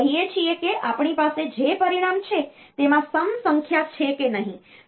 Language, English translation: Gujarati, So, telling that whether the result that we have is having an even number of ones or not